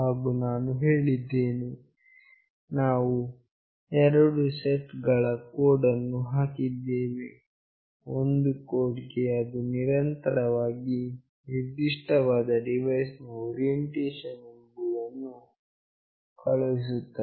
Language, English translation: Kannada, And I said there are two set of codes that we have put; for one code it will continuously send what is the orientation of this particular device